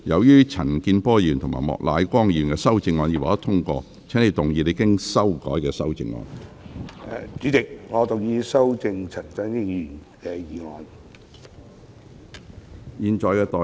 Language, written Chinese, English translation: Cantonese, 黃定光議員，由於陳健波議員及莫乃光議員的修正案已獲得通過，請動議你經修改的修正案。, Mr WONG Ting - kwong as the amendments of Mr CHAN Kin - por and Mr Charles Peter MOK have been passed you may move your revised amendment